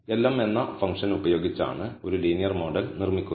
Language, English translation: Malayalam, So, building a linear model is done using the function lm